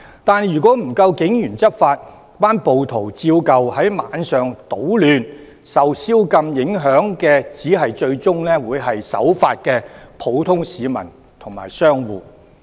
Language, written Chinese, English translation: Cantonese, 但是，如果不夠警員執法，暴徒依舊在晚上搗亂，受宵禁影響的最終只會是守法的普通市民和商戶。, However if there are not enough police officers to enforce the law rioters will continue to cause disruption at night . In the end the law - abiding general public and business operators will become the victims of the curfew